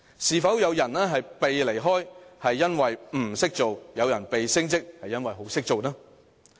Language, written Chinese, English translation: Cantonese, 是否有人"被離開"，是因為"唔識做"？有人"被升職"，是因為"好識做"呢？, Could it be possible that someone was told to resign because she was not good and another person was forced to accept promotion because he was very good?